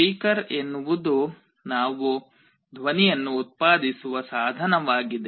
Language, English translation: Kannada, A speaker is a device through which we can generate some sound